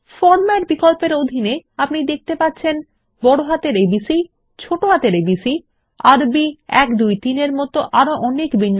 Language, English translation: Bengali, Under the Format option, you see many formats like A B C in uppercase, a b c in lowercase,Arabic 1 2 3and many more